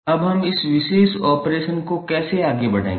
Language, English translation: Hindi, Now, how we will carry on this particular operation